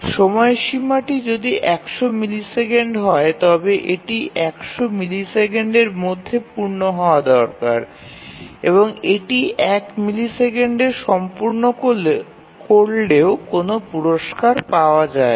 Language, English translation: Bengali, If the deadline is 100 millisecond then it needs to complete by 100 millisecond and there is no reward if it completes in 1 millisecond let us say